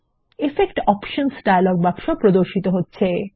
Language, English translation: Bengali, The Effects Options dialog box appears